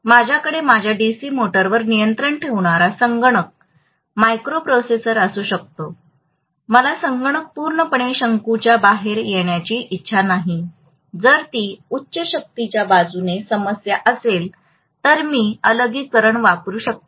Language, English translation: Marathi, I may have a computer microprocessor controlling my DC motor, I do not want a computer to conk out completely, if that is a problem in the high power side, so I may use an isolation